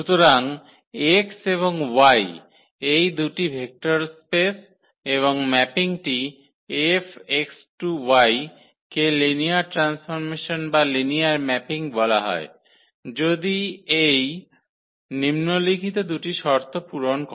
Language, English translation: Bengali, So, X and Y be two vector spaces and the mapping F from X to Y is called linear transformation or linear mapping if it satisfies the following 2 conditions